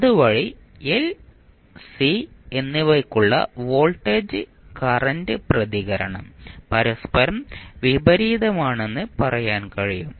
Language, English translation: Malayalam, So, in that way you can say that voltage current response for l and c are opposite to each other